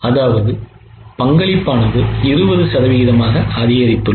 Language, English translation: Tamil, Just increase the contribution by 20%